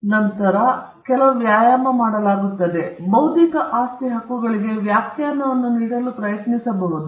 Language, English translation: Kannada, After that exercises is done, we may try to give a definition to intellectual property rights